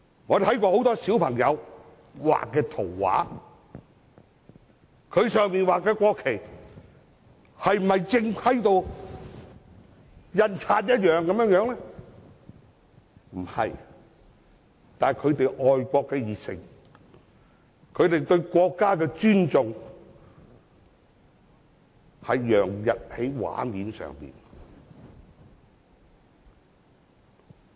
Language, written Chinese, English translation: Cantonese, 我們看過很多小朋友畫的圖畫，他們畫的國旗是否正規如印刷一樣，並非如此，但他們愛國的熱誠，他們對國家的尊重，洋溢在圖畫上。, Are the national flags in these paintings painted in the way as formal as printed national flags? . The answer is no . However we can see that their paintings are filled with passion of patriotism and respect for the country